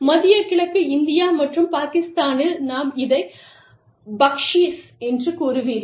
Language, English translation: Tamil, Middle east, India, and Pakistan, you will say Baksheesh